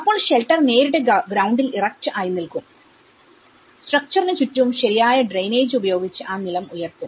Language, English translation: Malayalam, And then the shelter would be erectly directly on the ground, elevated that floor with proper drainage around the structure